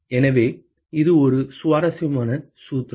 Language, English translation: Tamil, So, that is an interesting formula